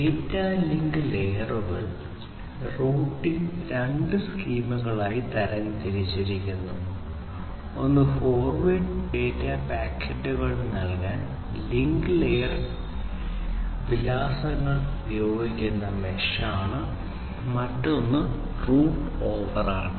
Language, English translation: Malayalam, So, in data link layer routing is classified into two schemes, one is the mesh under which utilizes the link layer addresses to provide to forward data packets and the other one is the route over, and the other one is the route over